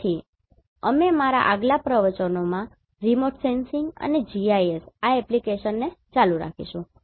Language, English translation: Gujarati, So, we will continue this application of remote sensing and GIS in my next lectures